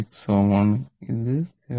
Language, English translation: Malayalam, 6 ohm and this is 0